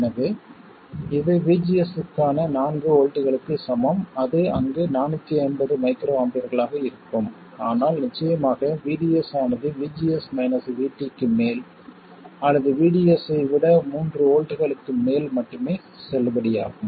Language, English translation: Tamil, So, this is the point for VGS equals 4 volts and that will be 450 microamper there, but of course it is valid only for VDS more than VGS minus VT or vds more than 3 volts